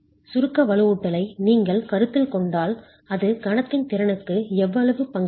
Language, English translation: Tamil, If you were to consider the compression reinforcement, how much is that going to contribute to the moment capacity